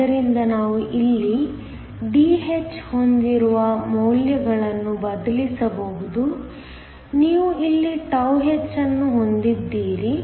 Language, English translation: Kannada, So, we can substitute the values we have Dh here, you have τh is here